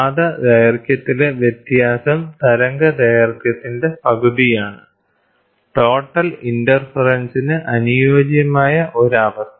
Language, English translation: Malayalam, The difference in path length is one half of the wavelength; a perfect condition for total interference